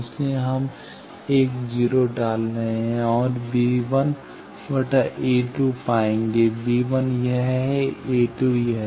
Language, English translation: Hindi, So, we are putting a 1 0 and will have find b 1 by a 2 b 1 is this, a 2 is this